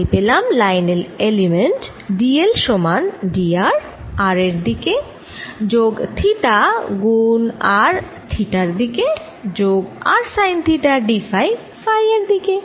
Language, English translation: Bengali, i get line element d: l is equal to d r in r direction, plus d theta times r in theta direction, plus r sine theta d phi in phi direction